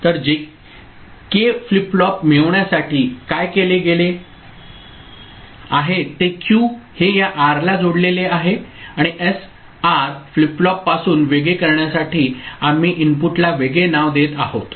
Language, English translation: Marathi, So, what has been done to get the JK flip flop is Q is connected to this R and we are giving a different name of the input, K to distinguish to differentiate it from SR flip flop